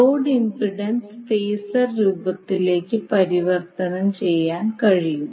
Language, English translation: Malayalam, So the load impedance you can convert it into phasor form so it will become 8